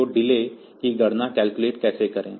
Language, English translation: Hindi, So, how to calculate the delay